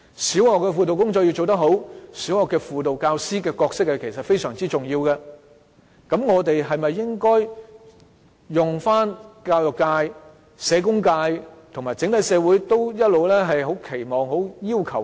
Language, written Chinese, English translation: Cantonese, 小學輔導工作要做得好，小學輔導教師的角色非常重要，我們應否採用教育界、社工界和整個社會也很期望的"一加一"模式？, In order to properly take forward guidance work in primary schools the role of SGT is very important . Should we adopt the one - plus - one model highly aspired by the education sector social work sector and society in general?